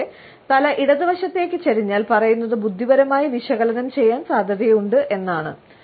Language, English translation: Malayalam, If your head tilts to the left, you are likely to be intellectually analyzing what is being said